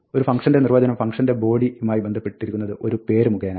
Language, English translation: Malayalam, A function definition associates a function body with a name